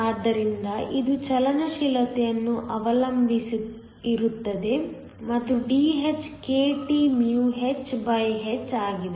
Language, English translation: Kannada, So, it depends upon the mobility and Dh is kThh